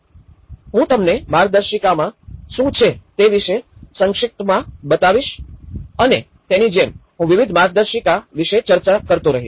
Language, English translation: Gujarati, I will show you a brief about what is there in the guidelines and like that, I will keep discussing about various guidelines